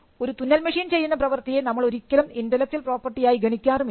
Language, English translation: Malayalam, We do not say the work of the sewing machine as something intellectual property